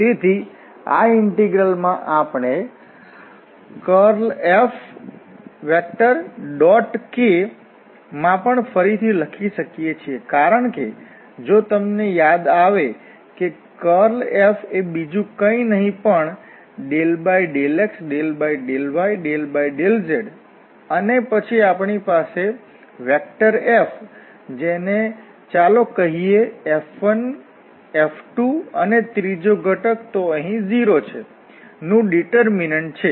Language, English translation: Gujarati, So, this integral we can also rewrite in curl F and the dot product with the k because if you recall that the curl F is nothing but the determinant of Del over Del x Del over Del y and Del over Del z and then we have from F let us say F 1 F 2, the third component is anyways 0 here